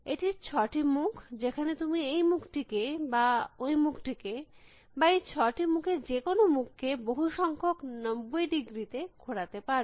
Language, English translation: Bengali, And it is for this six faces and you can move this face or you can move this face or you can move any of this six faces by multiples of ninety degrees